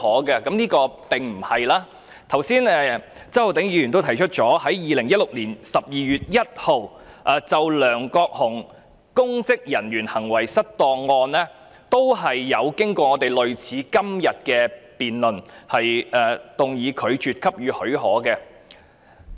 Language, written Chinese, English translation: Cantonese, 一如周浩鼎議員剛才提到 ，2016 年12月1日就梁國雄公職人員行為失當案，立法會也曾進行與今天類似的辯論，動議拒絕給予許可的議案。, As also mentioned by Mr Holden CHOW earlier on 1 December 2016 regarding the case of LEUNG Kwok - hung being charged with misconduct in public office the Legislative Council also had a debate similar to this debate today on a motion that the leave be refused